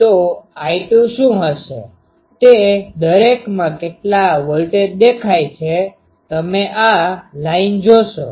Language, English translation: Gujarati, So, what will be I 2 will be how much voltage each one is seeing, you see this line